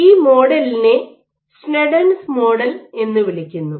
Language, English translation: Malayalam, So, this model is called a Sneddon’s model